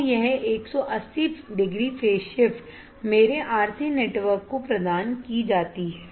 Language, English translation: Hindi, So, this 180 degree phase shift is provided to my RC network